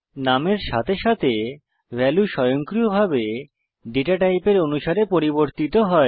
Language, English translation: Bengali, As the name goes, the value is automatically converted to suit the data type